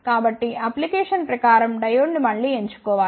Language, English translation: Telugu, So, one should again choose the diode according to the application